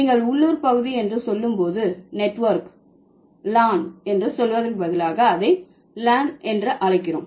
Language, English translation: Tamil, So, when you say local area network, instead of saying L A N, we call it LAN